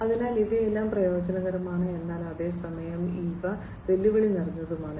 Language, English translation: Malayalam, So, all these things are advantageous, but at the same time these are challenging